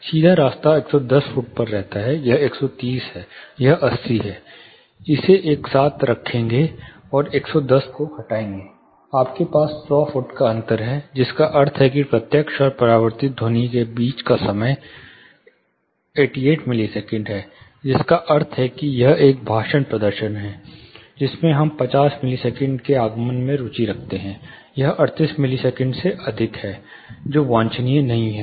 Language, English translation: Hindi, The direct path remains at 110 foot; whereas, now the reflected path, this is 130, this is 80 putting this together and subtracting 110, you have a distance difference of hundred foot, which means the time difference between the direct and reflected sound is 88 millisecond, which means they are, if it is a speech performance again, which we are interested in 50 millisecond, initial 50 millisecond arrival, it is short or it is excess by 38 millisecond, which is not desirable